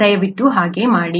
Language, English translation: Kannada, Please do that